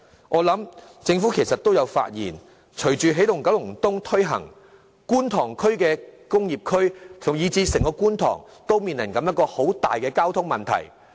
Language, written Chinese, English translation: Cantonese, 我佔計政府亦已發現，隨着"起動九龍東"向前推進，觀塘工業區，以至整個觀塘都面臨相當嚴重的交通問題。, I guess the Government should have realized that taking forward the Energizing Kowloon East project means that the Kwun Tong Industrial Area or even the entire Kwun Tong District has to face very serious traffic problems